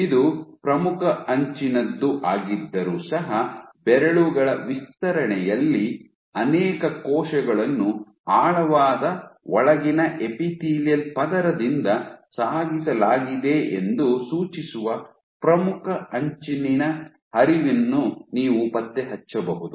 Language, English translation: Kannada, So, even though this is the leading edge you can detect flow very far from the leading edge suggesting that many of the cells at the fingers were transported from deep inside they epithelial layer